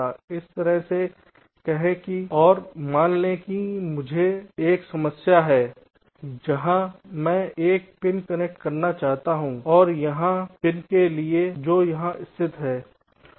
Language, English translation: Hindi, let say like this: and suppose i have a problem where i want to connect a pin which is located here to a pin which is located, say, here